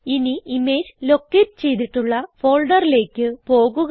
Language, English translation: Malayalam, Now lets go to the folder where the image is located